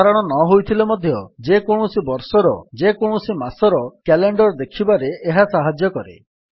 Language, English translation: Odia, Though not as common, this helps you to see the calender of any month and any year